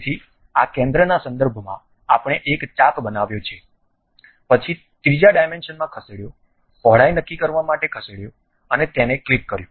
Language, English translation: Gujarati, So, with respect to this center, we have constructed an arc, then move to third dimension to decide the width moved and clicked it